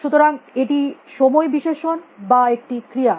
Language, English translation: Bengali, So, it is time adjective is it a verb